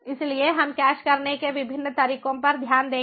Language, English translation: Hindi, so we will look at the different ways to cache